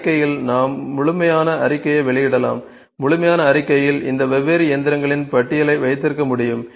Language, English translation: Tamil, So, in report we can publish the complete report, in the complete report we can have just the list of these machines different machines ok